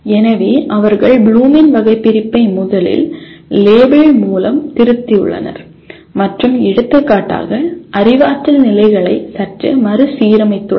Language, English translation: Tamil, So they have slightly revised the Bloom’s taxonomy first of all by label and slightly reordered the cognitive levels for example